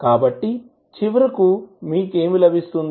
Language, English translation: Telugu, So finally what you will get